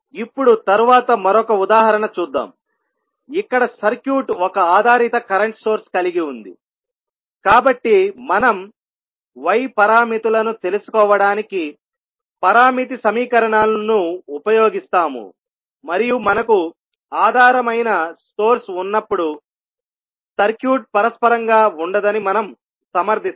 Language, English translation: Telugu, Now, next let us see another example, here the circuit is having one dependent current source, so we will use the parameter equations to find out the y parameters and we will justify that when you have the dependent source the circuit will not be reciprocal